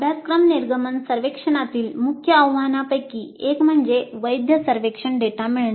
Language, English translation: Marathi, Now one of the key challenges with the course exit survey would be getting valid survey data